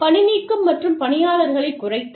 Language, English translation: Tamil, Termination and reduction in workforce